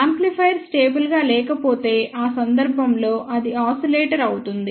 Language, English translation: Telugu, If amplifier is not stable, then in that case it can become an oscillator